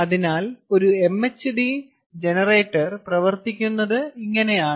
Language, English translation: Malayalam, so this is how an mhd generator works